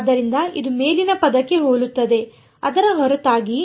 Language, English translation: Kannada, So, its identical to the term above except for